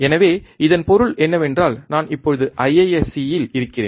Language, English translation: Tamil, So, that means, that if I want to so, since I am right now in IISC, right